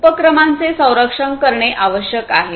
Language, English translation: Marathi, It is required to protect the enterprises